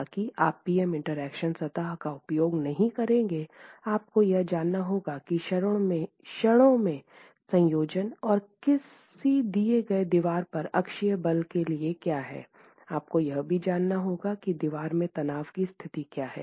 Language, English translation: Hindi, However, that may be too much to ask for and therefore since you will not be using a PM interaction surface, you need to know what is the for the combination of moments and axial forces at a given wall, you need to know what is the state of stress in the wall